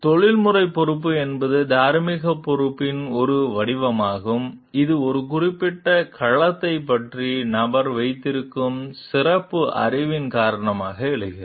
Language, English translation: Tamil, Professional responsibility is a form of moral responsibility which arises due to the special knowledge the person possesses about a particular domain